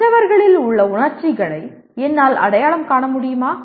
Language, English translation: Tamil, Can I recognize the emotions in others